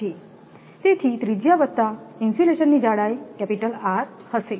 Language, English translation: Gujarati, 6 centimeter, so radius plus the thickness of insulation will be capital R